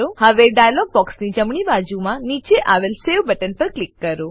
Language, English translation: Gujarati, Now, click on the Save button at the bottom right of the dialog box